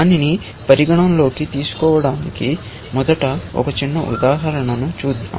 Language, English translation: Telugu, To consider that, Let us first look at a small example